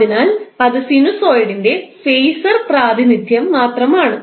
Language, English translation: Malayalam, So that is nothing but the phaser representation of the sinusoid